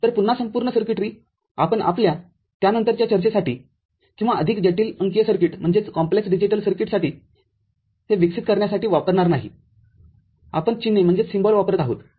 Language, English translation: Marathi, So, again the whole circuitry we shall not be using for our subsequent discussions or developing more complex digital circuits; we shall be using symbols